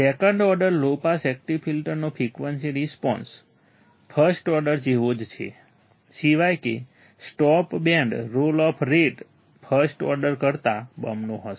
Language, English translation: Gujarati, The frequency response of the second order low pass active filter is identical to that of first order, except that the stop band roll off rate will be twice of first order